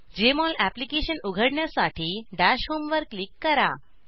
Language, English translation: Marathi, To open the Jmol Application, click on Dash home